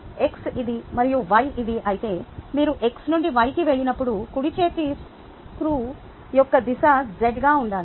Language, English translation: Telugu, you know when, if x is this and y is this, when you go from x to y, the direction of the right handed screw should be z